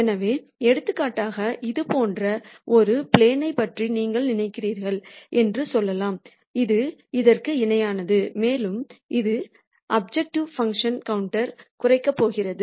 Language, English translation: Tamil, So, for example, let us say you think of a plane like this which is parallel to this and it is going to cut the objective function plot